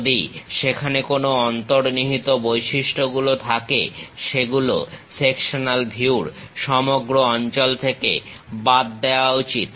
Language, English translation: Bengali, If there are any hidden features, that should be omitted in all areas of sectional view